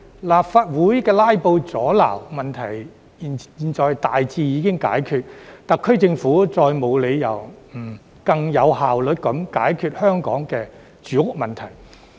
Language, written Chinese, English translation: Cantonese, 立法會"拉布"阻撓問題現已大致解決，特區政府再沒有理由不更有效率地解決香港的住屋問題。, Now that the filibuster in the Legislative Council has been largely resolved there is no reason for the SAR Government not to solve the housing problem in Hong Kong more efficiently